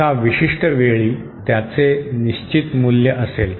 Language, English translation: Marathi, It has, at a particular instant it will have a definite value